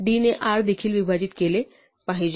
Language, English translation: Marathi, So d must divide r as well